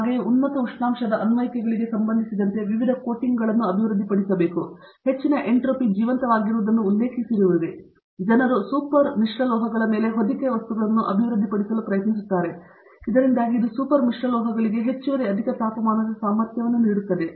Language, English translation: Kannada, Similarly, various coatings for high temperature applications people are developing, you just mentioned about high entropy alive, people are trying to develop them as coating materials on super alloys, so that it gives additional high temperature capabilities for super alloys